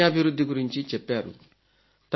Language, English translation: Telugu, They have written about Skill Development